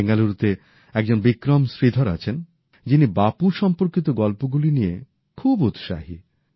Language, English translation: Bengali, There is Vikram Sridhar in Bengaluru, who is very enthusiastic about stories related to Bapu